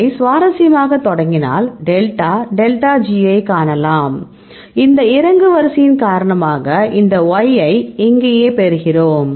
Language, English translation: Tamil, So, we start its interesting you can see the delta delta G ok, this is the or because of this descending order we get this Y here right